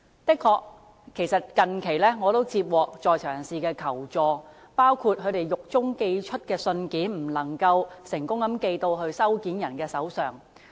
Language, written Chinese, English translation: Cantonese, 我近期的確接獲在囚人士的求助，包括他們在獄中寄出的信件不能夠成功寄送到收件人手上。, Recently I have indeed received certain inmates requests for help . One of their concerns was that the letters they sent from prison could not reach the recipients